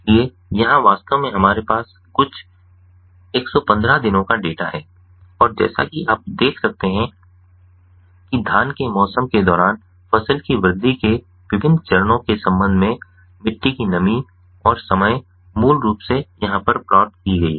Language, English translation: Hindi, so here, actually, we have some hundred fifteen days data and, as you can see over here, the soil moisture variation with respect to the different phases of crop growth during the paddy season is basically plotted over here